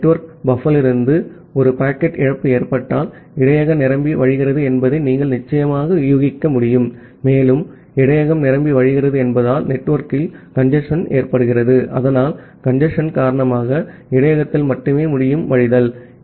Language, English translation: Tamil, And because of that if there is a packet loss from the network buffer, you can certainly infer that the buffer has overflown, and because the buffer has overflown, you are having a congestion in the network so because of the congestion, the buffer can only overflow